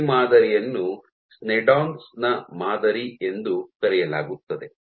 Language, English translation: Kannada, So, this model is called a Sneddon’s model